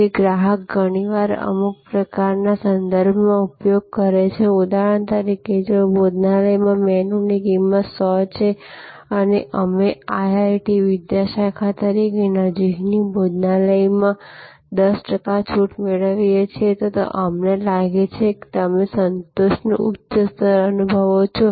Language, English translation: Gujarati, So, customer often use a some kind of reference, for example, if the menu price is 100 in a restaurant and we as IIT faculty get of 10 percent discount in a nearby restaurant, then we feel you know that, you feel a higher level of satisfaction